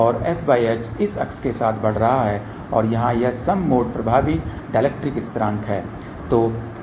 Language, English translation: Hindi, And s by h is increasing along this axes and this one here is a even mode effective dielectric constant